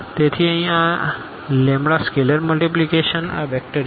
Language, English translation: Gujarati, So, here this scalar lambda is multiplied to this vector u